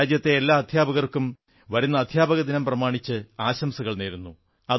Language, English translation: Malayalam, I felicitate all the teachers in the country on this occasion